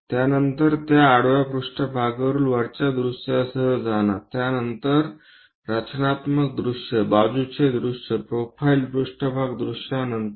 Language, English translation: Marathi, After that go with the top view on that horizontal plane, after that constructive view side view profile plane view